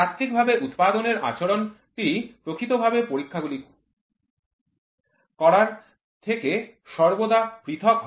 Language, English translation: Bengali, The theoretically predicted behaviour is always different from the real times